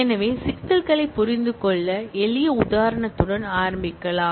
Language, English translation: Tamil, So, let us start with a simple example to understand the issues